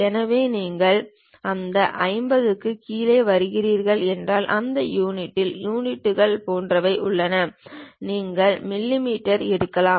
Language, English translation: Tamil, So, if you are coming down below that 50, there is something like units in that unit we can pick mm